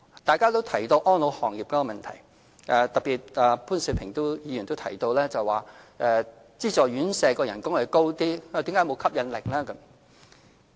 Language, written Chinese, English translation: Cantonese, 大家也提到安老行業的問題，特別是潘兆平議員，他提到資助院舍員工的薪酬較高，但為何仍沒有吸引力。, Mr POON Siu - ping in particular has questioned why subsidized residential care homes for the elderly fail to attract new recruits despite the higher salaries offered